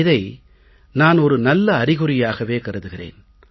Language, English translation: Tamil, I consider this as a positive sign